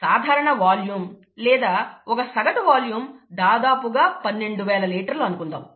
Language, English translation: Telugu, The typical volume, or let me say an average, kind of an average volume is about twelve thousand litres